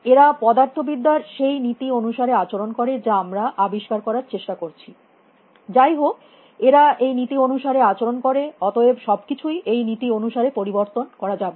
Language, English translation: Bengali, And they all behave according to the laws of physics which we are trying to discover; by the way they behave according to these laws, and, therefore, everything can be exchanged according to these laws